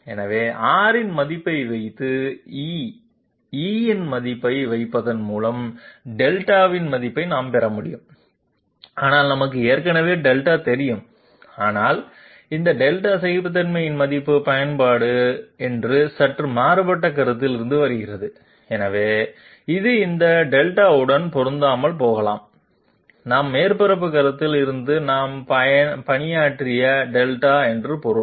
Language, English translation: Tamil, So we can get the value of Delta by putting in a value of R and putting in a value of E, but we already know Delta but this Delta is coming from a slightly different consideration that is the application of tolerance value, so it might well not match with this Delta I mean the Delta that we have worked out from the surface consideration